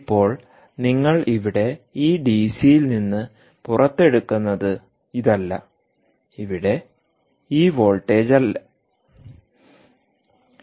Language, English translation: Malayalam, now what you get, what you get out of this dc here, is not this here, not this voltage at all, not this voltage